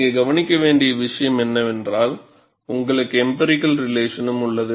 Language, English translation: Tamil, See, the point here to note is, you have empirical relations available